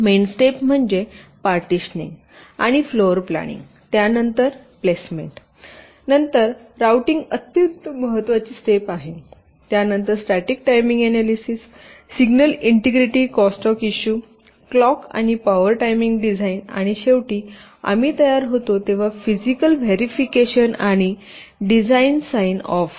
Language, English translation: Marathi, so the main steps are partitioning and floor planning, followed by placement, then the very important steps of routing, then static timing analysis, signal integrity, crosstalk issues, clock and power timing design and finally physical verification and design sign off when we are ready to send our final design to the fabrication facility for the, for the ultimate manufacturing of the device, for the chip